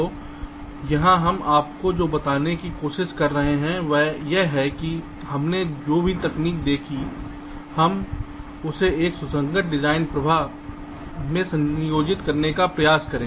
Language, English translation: Hindi, ok, so here what we are trying to tell you is that whatever techniques we have looked at, let us try to combine it in a consistent design flow